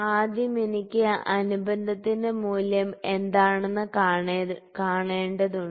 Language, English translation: Malayalam, So, first I need to see what is the value of addendum